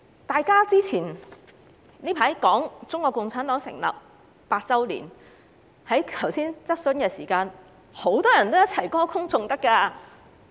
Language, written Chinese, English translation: Cantonese, 大家最近談論中國共產黨成立100周年，在剛才的質詢時間，多位議員都歌功頌德。, Recently we have been discussing the centenary of the founding of the Communist Party of China CPC and many Members have sung praises of CPC during the Question Time just now